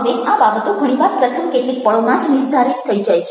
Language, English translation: Gujarati, now, these things are very often decided by the first few moments